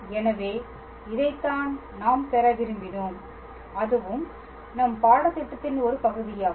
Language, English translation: Tamil, So, this is what we wanted to derive and its also part of our syllabus